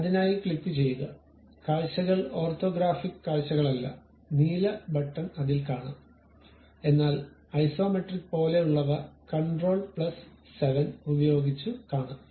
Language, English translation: Malayalam, There is something like a blue button not the views orthographic views, but there is something like isometric with control plus 7